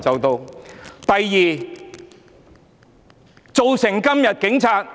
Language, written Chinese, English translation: Cantonese, 第二，造成今天警察......, Secondly today the police officers were